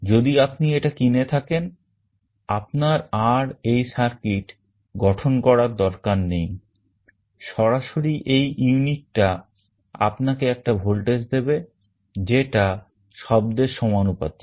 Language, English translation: Bengali, So, if you buy it you need not have to construct this circuit, directly this unit will give you a voltage that will be proportional to the sound